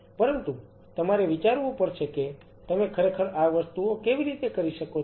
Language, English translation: Gujarati, But you have to think how you really can make these things happen